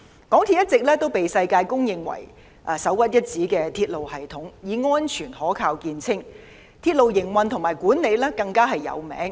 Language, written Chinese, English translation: Cantonese, 港鐵一直被世界公認為首屈一指的鐵路系統，以安全可靠見稱，而港鐵公司的鐵路營運及管理更是知名。, Renowned for its safety and reliability the Mass Transit Railway has always been regarded as a world - class railway system and MTRCL is well known for its railway operation and management